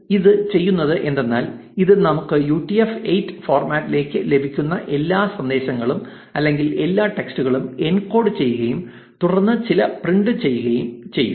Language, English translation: Malayalam, So, what this will do is, this will encode all the messages or all the text that we are getting into UTF 8 format and then print it